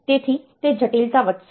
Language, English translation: Gujarati, So, it is complexity will increase